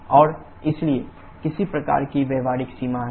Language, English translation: Hindi, And therefore, there is some kind of practical limit